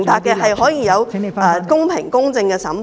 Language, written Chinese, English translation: Cantonese, 是可以有公平、公正的審判。, There can be fair and impartial trials